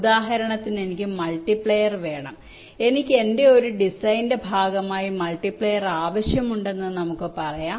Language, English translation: Malayalam, for example, i need lets say, i need a multiplier as part of my design